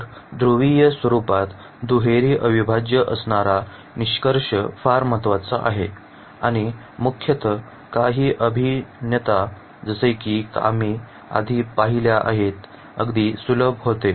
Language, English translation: Marathi, So, the conclusion that is double integrals in polar forms are very important, and mainly the some integrals like we have seen just before becomes very easier